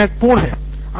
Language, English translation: Hindi, That is important